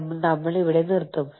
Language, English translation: Malayalam, So, we will stop here